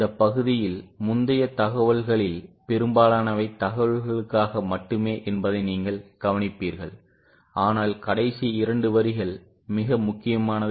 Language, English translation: Tamil, So, you will observe that in this para most of the earlier information is just for the sake of information but the last two lines are very important